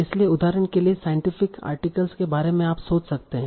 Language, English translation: Hindi, So for example, think about the scientific articles